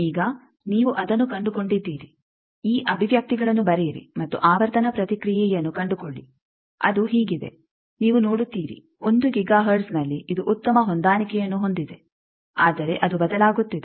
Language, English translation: Kannada, Now, you find out that they said that write these expressions and find the frequency response it is like this you see that at 1 Giga hertz it is good match, but then it is changing